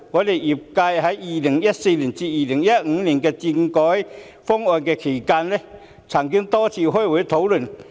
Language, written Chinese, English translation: Cantonese, 在2014年至2015年的政改諮詢期間，我們業界曾多次開會討論。, During the consultation on political reform conducted from 2014 to 2015 we in the sector held a number of meetings to discuss the issue